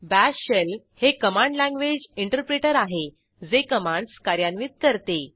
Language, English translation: Marathi, * Bash Shell is a Command language interpreter, that executes commands